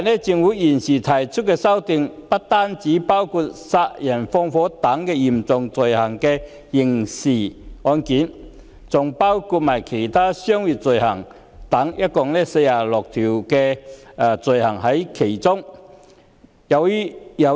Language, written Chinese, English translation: Cantonese, 政府現時提出的修訂，不單包括殺人放火等嚴重刑事罪行，還包括其他商業罪行，涉及共46項罪行類別。, The amendments currently proposed by the Government involve 46 items of offences which include not only such serious criminal crimes as murder and arson but also other commercial offences